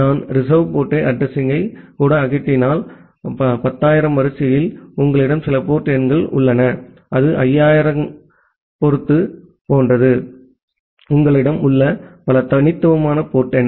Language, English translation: Tamil, If I even remove the reserve port address, still you have some port numbers in the order of 10000 even it is something similar to 50000 that many different unique port number you have